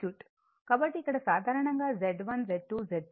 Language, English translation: Telugu, So, here suppose in general if it is Z1, Z2, Z3